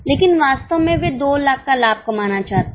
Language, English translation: Hindi, But in reality, they want to make a profit of 2 lakhs